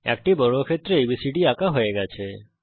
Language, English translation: Bengali, A square ABCD is drawn